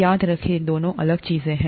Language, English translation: Hindi, Remember these two are different things